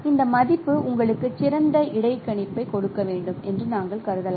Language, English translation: Tamil, So, we can consider that value should give you a better interpolation